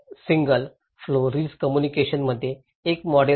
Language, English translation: Marathi, So, a model of single flow risk communications is that